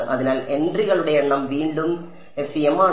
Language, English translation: Malayalam, So, the number of entries are FEM is again order n